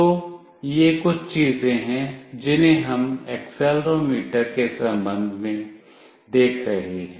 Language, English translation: Hindi, So, these are few things we will be looking into with respect to accelerometer